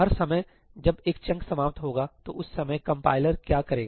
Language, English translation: Hindi, every time a chunk ends, what does the compiler do